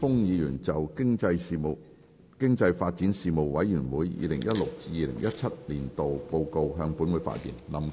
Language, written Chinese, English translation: Cantonese, 林健鋒議員就"經濟發展事務委員會 2016-2017 年度報告"向本會發言。, Mr Jeffrey LAM will address the Council on the Report of the Panel on Economic Development 2016 - 2017